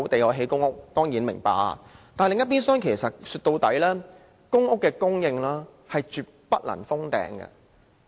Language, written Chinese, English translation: Cantonese, 我們當然明白，但另一邊廂，歸根究底，公屋供應絕不能"封頂"。, We understand this . But on the other hand it all boils down to the fact that there should never be a cap on PRH supply